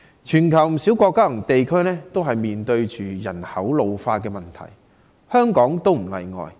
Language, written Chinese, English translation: Cantonese, 全球不少國家及地區正面對人口老化的問題，香港也不例外。, Many countries and regions around the world are faced with the problem of population ageing and Hong Kong is no exception